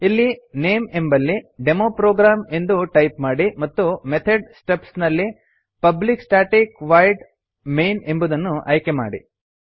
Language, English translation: Kannada, In the class name type DemoProgram and in the method stubs select one that says Public Static Void main